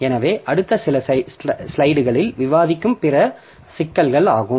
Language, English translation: Tamil, So, these are the other issues that we will discuss in our next few slides